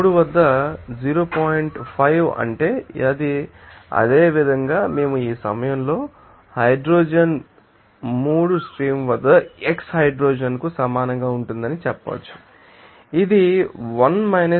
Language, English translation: Telugu, 5 so, similar so, we can say that, at this time hydrogen will be equal to you know x hydrogen at a stream 3, it will be coming as 1 0